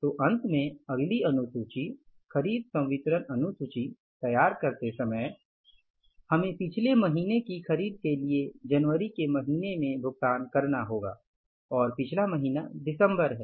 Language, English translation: Hindi, So finally, while preparing the next schedule, purchase disbursement schedule, we will have to make the payment in the month of January for the purchases of the previous month and previous month is December